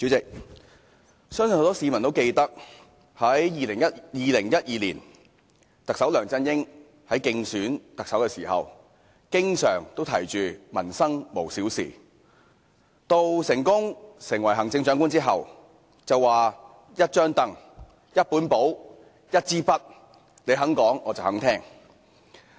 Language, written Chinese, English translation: Cantonese, 主席，相信很多市民都記得，特首梁振英在2012年競選特首時經常說"民生無小事"，而在成功當選行政長官後便說"一張櫈、一本簿、一支筆，你肯講、我肯聽"。, President I believe many people remember that when contending for the office of the Chief Executive in 2012 the incumbent Chief Executive LEUNG Chun - ying said that no livelihood issue is too trivial on various occasions and following his successful election as the Chief Executive he said that with a stool a notebook and a pen I am ready to listen to what you say